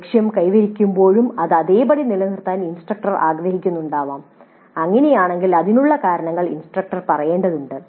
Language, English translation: Malayalam, It is also possible that the instructor may wish to keep the target as the same even when it is achieved and if that is the case the instructor has to state the reasons for doing so